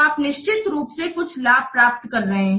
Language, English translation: Hindi, So, you are certainly getting some benefits